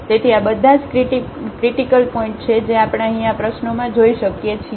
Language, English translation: Gujarati, So, all these are the critical points which we can see here in this problem